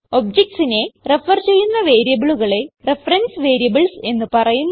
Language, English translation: Malayalam, Variables that refer to objects are reference variables